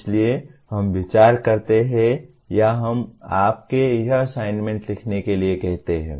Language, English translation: Hindi, So we consider or we ask you to write these assignment